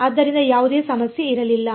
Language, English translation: Kannada, So, there was no problem